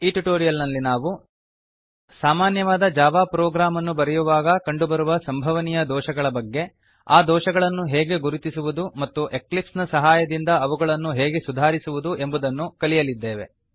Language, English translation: Kannada, In this tutorial,we are going to learn what are the possible error while writing a simple Java Program, how to identify those errors and rectify them using eclipse